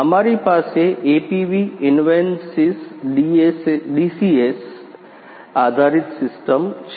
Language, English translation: Gujarati, Right We have an APV Invensys DCS based system